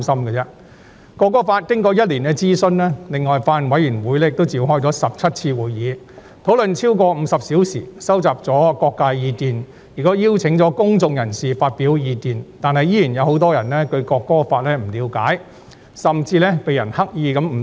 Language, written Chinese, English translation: Cantonese, 《條例草案》經過1年諮詢，另外法案委員會亦召開了17次會議，討論了超過50小時，收集了各界的意見，亦邀請了公眾人士發表意見，但依然有很多人對《條例草案》不了解，甚至有人刻意誤導。, After a year of consultation on the Bill and 17 meetings spanning over 50 hours on discussion held by the Bills Committee to gauge the opinions from various sectors including inviting the public to express their views many people still do not understand the Bill or even mislead others deliberately